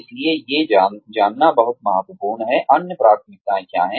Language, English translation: Hindi, So, knowing what these, other priorities are, is very important